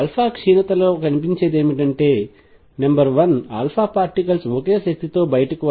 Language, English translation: Telugu, What is seen in alpha decay is alpha particles come out with the same energy, number 1